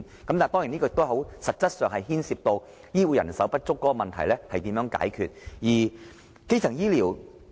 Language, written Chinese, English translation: Cantonese, 當然，在實質上，這亦牽涉到醫護人手不足的問題，這也是需要解決的。, Of course in practice this also involves the question of insufficient health care manpower which also needs to be resolved